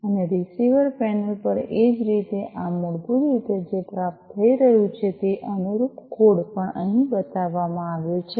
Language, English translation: Gujarati, And at the receiver panel likewise, you know, these are basically what is being received and the corresponding code is also shown over here, right